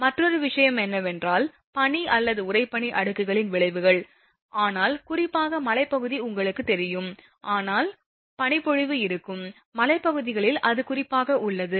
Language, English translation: Tamil, Then, another thing is that effects of snow or frost layer, but particularly in that you know mountain side that effect of snow are will be there, it is very much there particular in the hilly areas